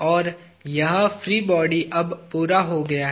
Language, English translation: Hindi, And, this free body is complete now